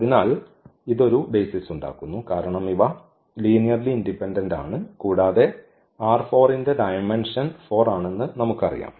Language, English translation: Malayalam, So, this forms a basis because these are linearly independent and we know that the dimension of R 4 is 4